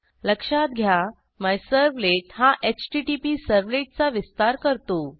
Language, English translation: Marathi, Note that MyServlet extends the HttpServlet